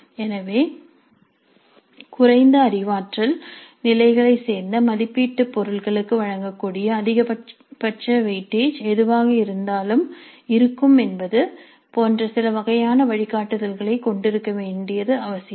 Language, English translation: Tamil, So it's also necessary to have some kind of a guidelines like what would be the maximum weight is that can be given to assessment items belonging to the lower cognitive levels